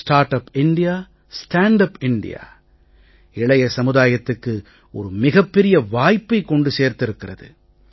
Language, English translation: Tamil, "Startup India, Standup India" brings in a huge opportunity for the young generation